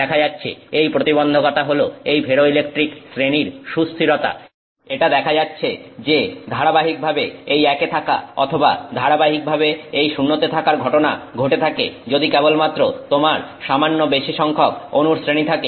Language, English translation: Bengali, The challenge is this, it turns out that the stability of that ferroelectric group for it to stay consistently as one or for it to stay consistently as zero, it turns out that this stability happens to occur only if you have slightly larger groups, larger groups of atoms